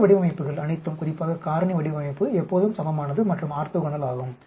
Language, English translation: Tamil, All these designs, especially the factorial design are always balanced and orthogonal